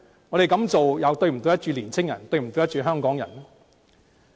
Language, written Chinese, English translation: Cantonese, 我們這樣做又是否對得起年青人和香港人呢？, If we keep on doing so are we being fair to the young people and the Hong Kong people?